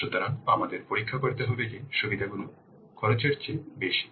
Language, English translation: Bengali, then check that benefits are greater than cost